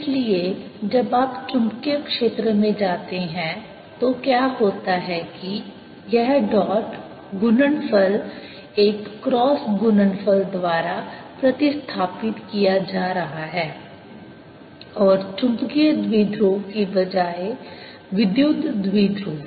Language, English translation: Hindi, so what is happening when you go to magnetic field is this dot product is getting replaced by a cross product and instead of the magnetic dipole electric dipole